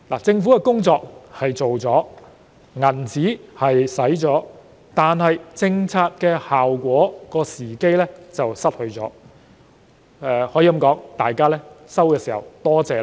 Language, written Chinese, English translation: Cantonese, 政府做了工夫，錢也花了，但卻失去取得政策效果的時機，市民甚至沒有半句多謝。, The Government did make efforts and spend money but it missed the opportunity to enjoy the policy effects and people had not even displayed the slightest attitude